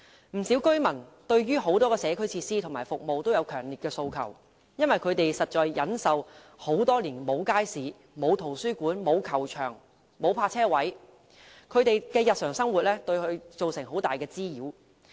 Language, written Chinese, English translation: Cantonese, 不少居民對很多社區設施和服務均有強烈訴求，因為他們多年來一直要忍受沒有街市、沒有圖書館、沒有球場、沒有泊車位的情況，這些對他們的日常生活造成很大滋擾。, Many residents have expressed strong aspirations for a lot of community facilities and services for they have been left with no market no library no stadium and no car park for years . To them this has caused great nuisances to their daily life